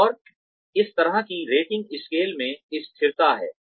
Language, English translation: Hindi, And, there is consistency, in this kind of rating scale